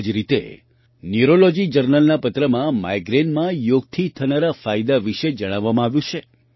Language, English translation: Gujarati, Similarly, in a Paper of Neurology Journal, in Migraine, the benefits of yoga have been explained